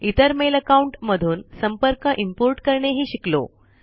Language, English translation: Marathi, Import contacts from other mail accounts